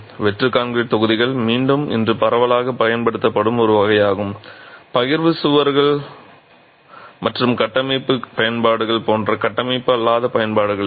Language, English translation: Tamil, So, hollow concrete blocks are again a category that is extensively used today both for non structural applications like the partition walls and for structural application